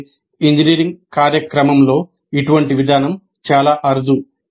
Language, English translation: Telugu, However such an approach is quite rare in engineering programs